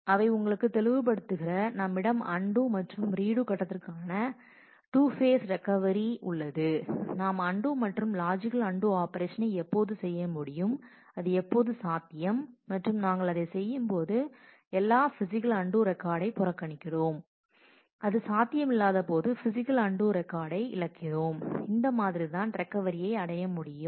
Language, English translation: Tamil, And those will be clear to you again we have a two phase recovery of redo phase and the undo phase and we make use of the operation undo, logical undo as and when it is possible and when that is and when we do that, we ignore all physical undo records and when it is not possible, then we lose the physical undo records and that is how the recovery can be achieved